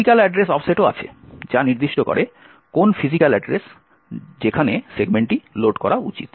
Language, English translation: Bengali, There is also physical address offset which specifies, which physical address that the segment should be loaded